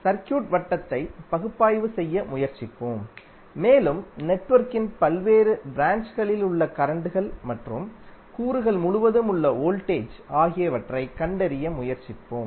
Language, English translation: Tamil, We will try to analysis the circuit and try to find out the currents which are there in the various branches of the network and the voltage across the components